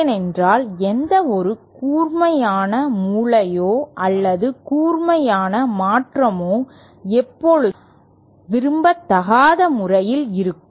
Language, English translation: Tamil, Because any sharp corner or any sharp transition is always on undesirable modes